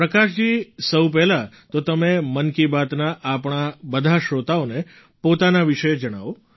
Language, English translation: Gujarati, Prakash ji, first of all tell about yourself to all of our listeners of 'Mann Ki Baat'